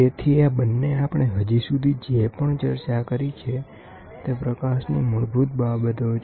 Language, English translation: Gujarati, So, these two whatever we have discussed till now is the basics of light